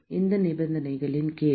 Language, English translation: Tamil, Under what conditions